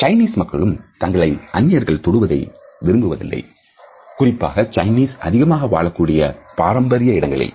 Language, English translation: Tamil, Chinese also do not like to be touched by the strangers at least in the conventional Chinese social pockets